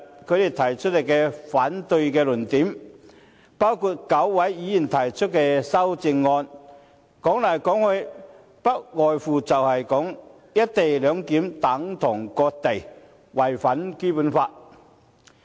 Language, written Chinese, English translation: Cantonese, 他們提出反對的論點，包括9位議員提出的修正案，說來說去，不外乎是"一地兩檢"等同割地，違反《基本法》。, The arguments repeated by them including the amendments proposed by nine Members are nothing more than claiming that the scheme will cede Hong Kongs territory and violate the Basic Law